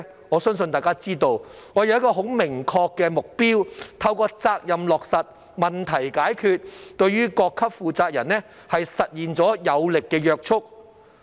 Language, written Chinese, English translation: Cantonese, 我相信大家也知道，我們要訂立一個很明確的目標，透過責任落實、問題解決，對各級負責人實現有力的約束。, I believe we all know the need to set a very clear target for responsibility implementation and problem solving as a forceful means to bind those in charge at various levels